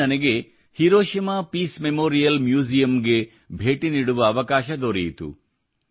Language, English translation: Kannada, There I got an opportunity to visit the Hiroshima Peace Memorial museum